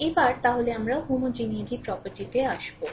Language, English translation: Bengali, So we will come to that your homogeneity property